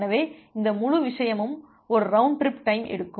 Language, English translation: Tamil, So, this entire thing takes a round trip time